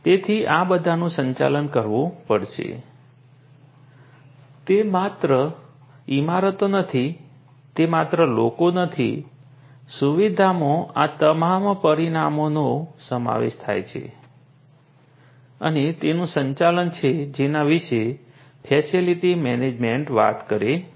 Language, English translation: Gujarati, So, all of these will have to be managed it is not merely buildings; it is not merely people facility includes all of these different dimensions and their management is what facility management talks about